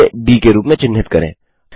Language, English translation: Hindi, Lets mark this point as D